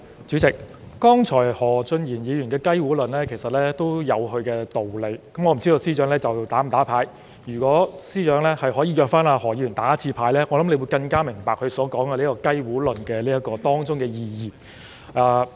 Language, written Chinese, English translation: Cantonese, 主席，何俊賢議員剛才的"雞糊論"其實有其道理，我不知司長會否"打牌"，如果司長邀請何議員"打牌"，我想他會更明白何議員所說的"雞糊論"當中的意義。, President the chicken hand theory cited by Mr Steven HO just now makes sense to a certain extent . I am not sure if the Secretary knows how to play the mahjong game . If the Secretary invites Mr HO to play the mahjong game I think he will have a better understanding of Mr HOs chicken hand theory